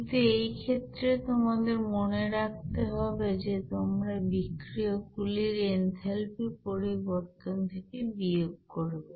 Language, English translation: Bengali, But in this case, you have to remember that, you are going to subtract this you know that enthalpy change from the reactants of you know there